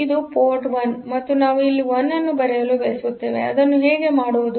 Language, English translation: Kannada, So, this is the port 1 and we want to write a 1 here; so how to do it